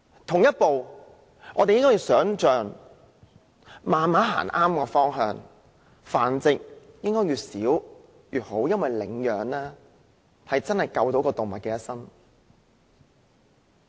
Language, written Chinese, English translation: Cantonese, 同時，我們應慢慢步向正確方向，繁殖應該越少越好，領養真的能夠救動物一生。, Meanwhile we should gradually steer ourselves in the right direction bearing in mind that the less animal breeding the better and rehoming can really save the lives of animals